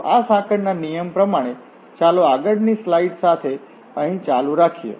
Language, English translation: Gujarati, So with this chain rule, let us continue here with the next slide